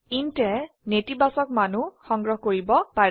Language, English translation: Assamese, int can also store negative values